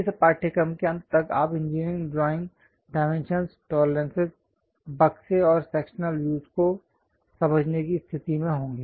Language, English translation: Hindi, End of the course you will be in a position to understand from engineering drawings, the dimensions, tolerances, boxes and sectional views